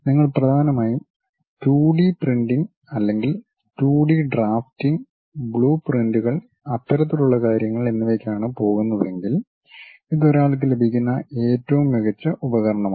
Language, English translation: Malayalam, If you are mainly going for 2D printing or 2D drafting, blueprints and other things this is the best tool what one can have